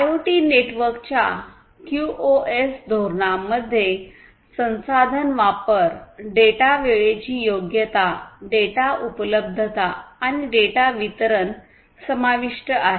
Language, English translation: Marathi, QoS policies for IoT networks includes resource utilization, data timeliness, data availability, and data delivery